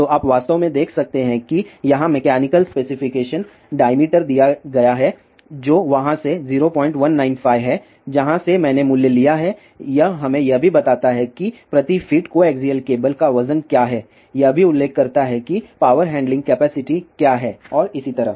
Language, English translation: Hindi, So, you can actually see here mechanical specification diameter is given which is point one nine 5 from there I have taken the value it also gives us what is the weight of the coaxial cable per feed, it also mentions about what are the power handling capacities and so on